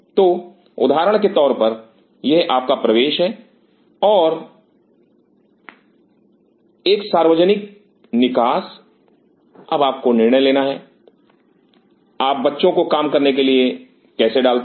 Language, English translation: Hindi, So, for example, this is your entry and a common exit, now you have options how you put the benches to work